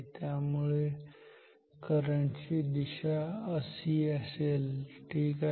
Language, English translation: Marathi, So, this is the direction of the current ok